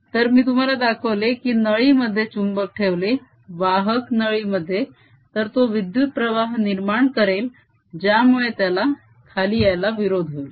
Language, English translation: Marathi, so what i have shown you is, as the magnet is put it in the tube, a conducting tube, it starts generating current that opposes its coming down